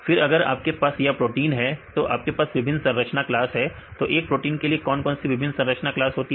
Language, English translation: Hindi, Then if you have these proteins right then you have different structure class of proteins what is the various structure class of proteins